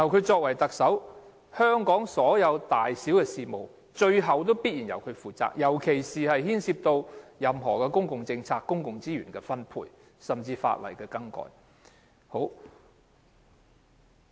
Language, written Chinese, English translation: Cantonese, 作為特首，香港所有大小事務，最後必然由他負責，尤其是牽涉任何公共政策和公共資源分配，甚至法例修改的事務。, As the Chief Executive he is ultimately responsible for all matters in Hong Kong particularly matters which involve public policies the distribution of public resources and even legislative amendment exercises